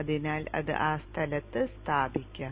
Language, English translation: Malayalam, So it will be located in that place